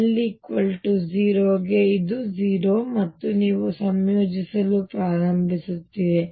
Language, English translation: Kannada, So, even for l equals 0 it is 0 and you start integrating out